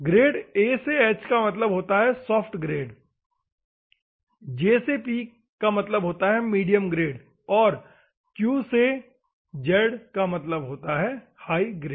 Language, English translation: Hindi, Grade A to H is a soft grade, J to P is a medium grade and hard grade